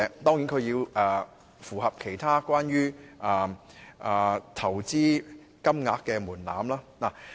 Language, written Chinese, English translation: Cantonese, 當然，公司也要符合其他有關投資金額的門檻。, Of course corporations must also meet the other thresholds in relation to investment amounts